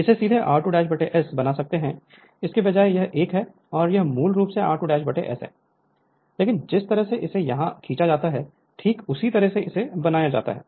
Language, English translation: Hindi, You can make it directly r 2 dash by S instead of this one and this one basically r 2 dash by S, but the way it is drawn here same way as made it right